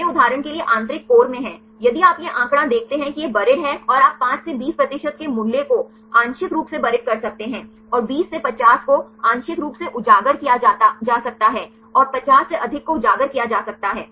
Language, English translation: Hindi, They are in the interior core for example, if you see this figure this is the buried and you can put the value of 5 to 20 percent this partially buried, and 20 to 50 as partially exposed and more than 50 as exposed